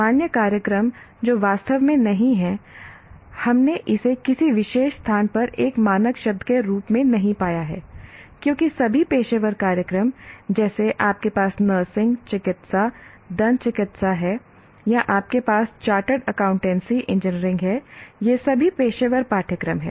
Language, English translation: Hindi, General programs, that is not really, we haven't found it as a standard word in any particular place because all professional programs, like you have nursing, medicine, dentist, or you have chartered accountancy, engineering, these are all professional courses